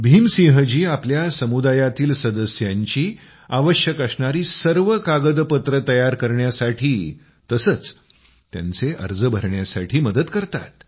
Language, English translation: Marathi, Bhim Singh ji also helps his community members in making necessary documents and filling up their forms